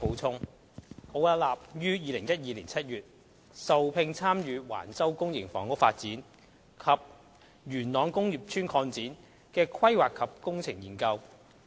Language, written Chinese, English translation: Cantonese, 奧雅納於2012年7月受聘參與橫洲公營房屋發展及元朗工業邨擴展的規劃及工程研究。, In July 2012 Arup was engaged to take part in the Planning and Engineering Study for the Public Housing Site and Yuen Long Industrial Estate Extension at Wang Chau development PE Study